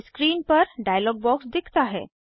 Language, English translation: Hindi, A dialog box opens on the screen